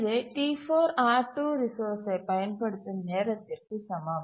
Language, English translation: Tamil, That is equal to the resource uses of T4 for R2